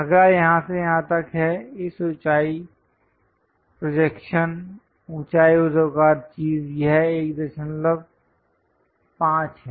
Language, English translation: Hindi, The next one is from here to here this height, the projection height vertical thing this is 1